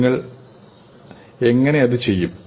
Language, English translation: Malayalam, How do you